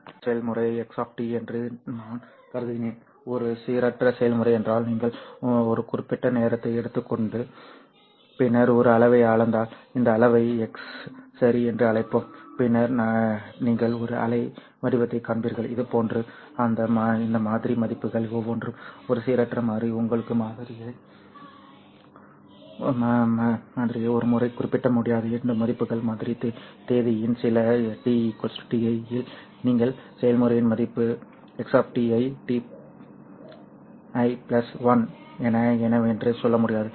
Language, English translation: Tamil, What a stochastic process means is that if you take a certain time know time and then measure a quantity so let's call this quantity as x then you will see a waveform that would look like this each of these sample values is a random variable you cannot specify once you have sampled this value say at some t equal to t i you have sampled it you cannot tell us what would be the value of this process x of t at t i plus 1 that is at the next sampling instant